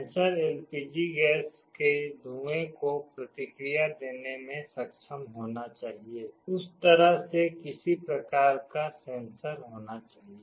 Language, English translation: Hindi, The sensor should be able to respond to LPG gas fumes, there has to be some kind of a sensor in that way